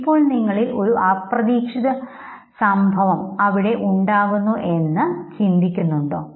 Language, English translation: Malayalam, Now you have an unexpected event, you just think what is it